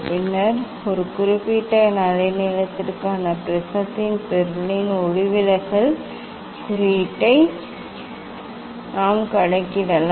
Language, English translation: Tamil, And then we can calculate the refractive index of the material of the prism for a particular wavelength of light of course